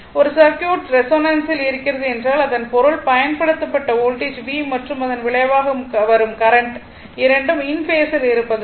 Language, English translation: Tamil, A circuit is said to be in resonance right, in resonance when the applied voltage V and the resulting current I are in phase